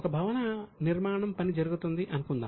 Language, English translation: Telugu, So, suppose building is under construction